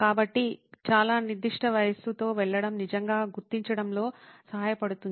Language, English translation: Telugu, So, going with a very specific age really helps in figuring out